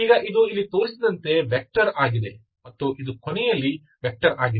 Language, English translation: Kannada, Now this is a vector and this is also vector at the end